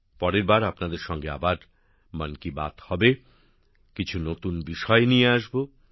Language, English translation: Bengali, Next time we will again have 'Mann Ki Baat', shall meet with some new topics